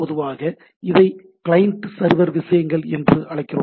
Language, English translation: Tamil, Typically, we call this as client server things